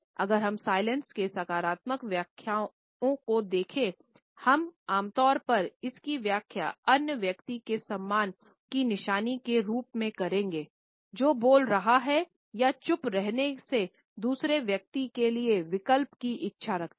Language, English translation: Hindi, If we look at the positive interpretations of silence we normally interpret it as a sign of respect towards the other person who is speaking or a desire to live in option to the other person by remaining silent